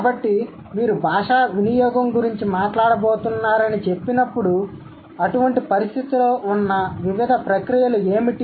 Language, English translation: Telugu, So, when you say you are going to talk about language use, so what do you think what are the different processes involved in such situations